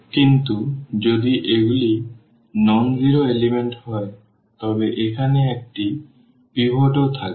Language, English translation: Bengali, But, if these are the nonzero elements if these are the nonzero elements then there will be also a pivot here